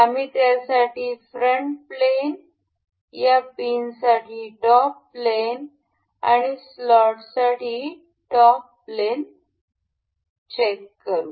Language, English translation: Marathi, We will check the front plane for this, top plane for this the pin and the top plane for the slot